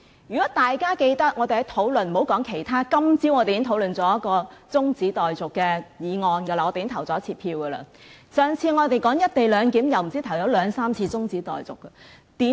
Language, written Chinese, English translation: Cantonese, 如果大家記得我們的辯論過程，莫說其他，今天早上我們已討論一項中止待續議案並進行表決，而上次我們討論"一地兩檢"時也提出兩三次中止待續議案。, If Members can recall our previous debates I do not have to go too far instead we can just look at our discussion and voting on an adjournment motion this morning as well as the few adjournment motions moved during the last discussion on the co - location arrangement